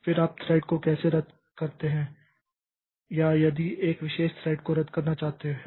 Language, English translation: Hindi, Then how do you cancel a thread or if you target one particular thread we want to cancel